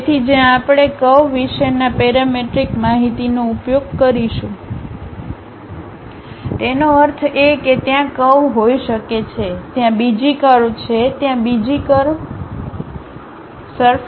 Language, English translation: Gujarati, So, where parametric information about curves we will use; that means, there might be a curve, there is another curve, there is another curve, there is another curve